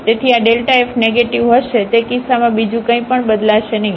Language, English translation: Gujarati, So, this delta f will be negative in that case nothing else will change